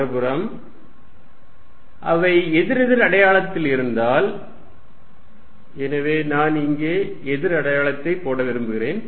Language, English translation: Tamil, On the other hand, if they are at opposite sign, so let me write opposite out here